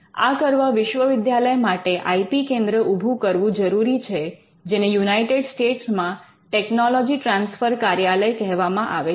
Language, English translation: Gujarati, This require them to have an IP centre and the IP centre in the United States is what is called that technology transfer office